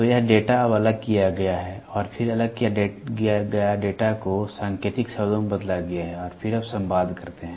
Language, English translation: Hindi, So, this data is now discretized and then the discretized data is coded and then you communicate